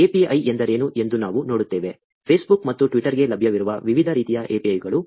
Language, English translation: Kannada, We will look at what an API is; different kinds of APIs that are available for Facebook and Twitter